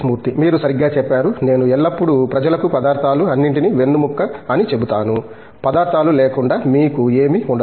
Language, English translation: Telugu, As you rightly side, I always tell people materials is the backbone of everything, without materials you cannot have anything